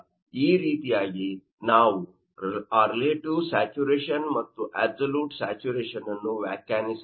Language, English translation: Kannada, So, in this way, we can define absolute saturation and absolute humidity